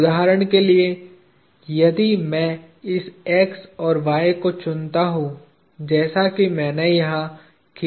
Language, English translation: Hindi, Say for example, if I choose this x and y as I have drawn here